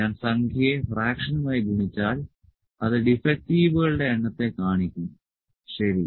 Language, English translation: Malayalam, If I multiply the number to the fraction it will show the number of defectives, ok